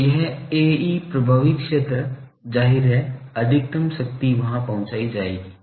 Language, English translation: Hindi, So, this A e effective area obviously, maximum power will be delivered there